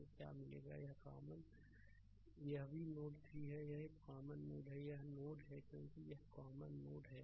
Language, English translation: Hindi, So, what we will ah what you will get that ah this is also node 3 this is a common node, this is node because this this this is a common node right